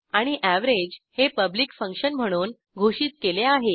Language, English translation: Marathi, And function average as public function